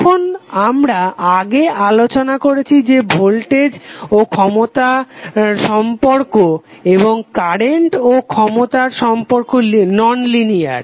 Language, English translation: Bengali, Now that we have discussed earlier that the relationship between voltage and power and current and power is nonlinear